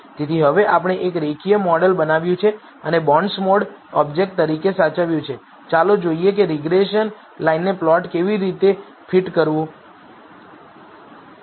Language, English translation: Gujarati, So, now that we have built a linear model and have saved it as an object bondsmod let us see how to fit the regression line over the plot